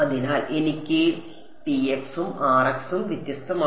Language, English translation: Malayalam, So, I have T x and R x are different